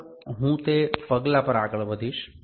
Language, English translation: Gujarati, Next, I will move to that step